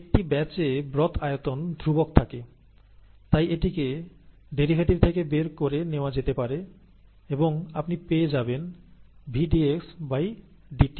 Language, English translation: Bengali, In the case of a batch, the broth volume remains a constant, and therefore it can be taken out of the derivative here, and you get V dxdt